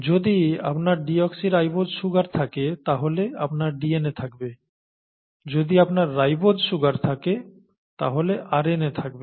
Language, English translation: Bengali, If you have a deoxyribose sugar you have DNA, if you have a ribose sugar you have RNA